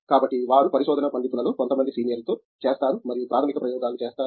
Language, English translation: Telugu, So, they undergo with some seniors in research scholars and do preliminary experiments